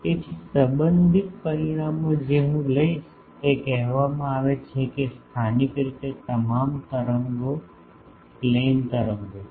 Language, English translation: Gujarati, So, the relevant results that I will take that is called that locally all the waves are plane waves